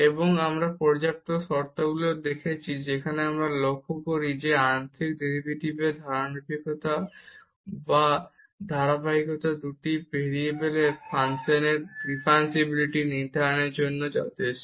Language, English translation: Bengali, And we have also seen the sufficient conditions where we observe that the continuity of one derivative or continuity of both partial derivatives is sufficient for defining differentiability of functions of two variables